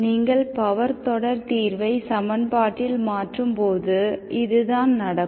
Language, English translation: Tamil, This is what happens when you substitute power series solution into the equation